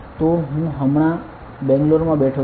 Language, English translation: Gujarati, So, I am sitting in Bangalore right now